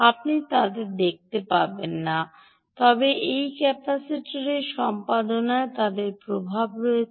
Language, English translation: Bengali, you wont see them, but they have their effect on the performance of this capacitor